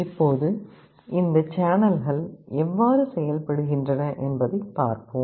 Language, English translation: Tamil, Now, let us see how this channels work